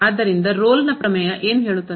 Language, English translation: Kannada, So, what is Rolle’s Theorem